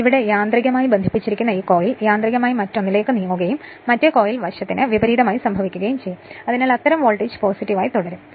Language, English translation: Malayalam, So, this coil automatically connected to the here automatically move to the other one and reverse will happen for the other coil side, so such that voltage will remain positive